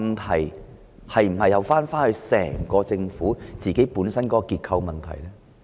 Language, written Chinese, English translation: Cantonese, 這是否又關乎整個政府的結構性問題呢？, Is this again attributable to the problem with the government structure?